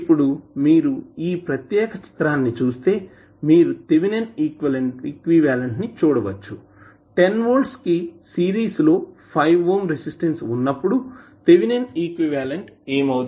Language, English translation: Telugu, Now, if you see this particular figure if you see the thevenin equivalent what will happen to the thevenin equivalent will be 10 volt plus minus in series with 5 ohm resistance